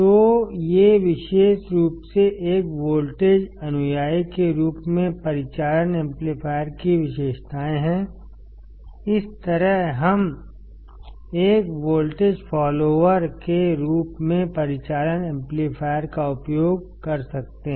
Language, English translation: Hindi, So, these are the characteristics of operational amplifier particular as a voltage follower; this is how we can use operational amplifier as a voltage follower